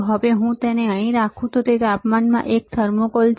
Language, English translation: Gujarati, Now, if I keep it here it is in temperature, this is a thermocouple right